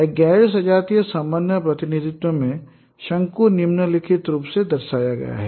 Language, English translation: Hindi, Whereas in a homogeneous coordinate representation, the conics are represented in this form